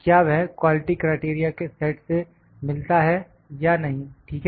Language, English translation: Hindi, I will put, does it meet the set of quality criteria or not ok